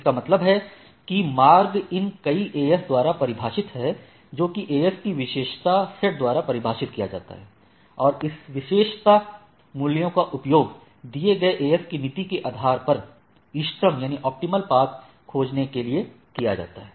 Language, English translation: Hindi, That means, what we want to say this your path is defined by these several AS which are in turn defined by the attribute set of this AS right, or that particular path and which can be used this attributes values are used to find the optimal path based on the particular by based on the policy of the that given AS